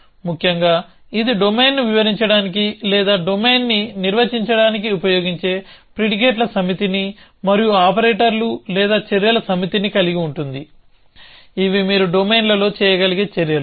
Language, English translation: Telugu, Essentially it constitutes of a set of predicates which are used to describe the domain or define a domain and a set of operators or actions, which are the actions that you can do in the domain